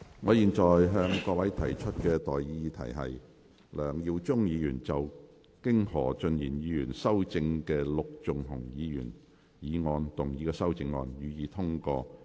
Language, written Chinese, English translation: Cantonese, 我現在向各位提出的待議議題是：梁耀忠議員就經何俊賢議員修正的陸頌雄議員議案動議的修正案，予以通過。, I now propose the question to you and that is That Mr LEUNG Yiu - chungs amendment to Mr LUK Chung - hungs motion as amended by Mr Steven HO be passed